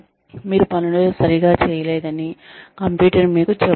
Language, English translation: Telugu, The computer tells you that you are not doing things, right